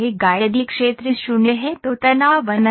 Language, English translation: Hindi, So, if the area is 0 then stress is infinite